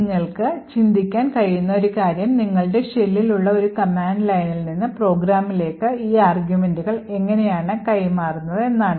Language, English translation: Malayalam, So, one thing that you could think about is how are these arguments actually passed from the command line that is from your shell to your program